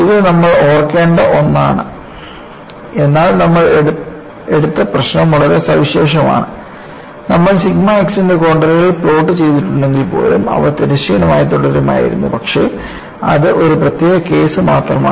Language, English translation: Malayalam, So, this is what you will have to keep in mind, but the problem that we have taken is a very special one; even if you had plotted just contours of sigma x, they would have remained horizontal, but that is only a special case